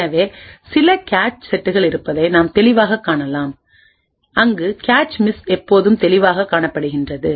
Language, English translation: Tamil, So we can actually clearly see that there are some cache sets where clearly cache misses are always observed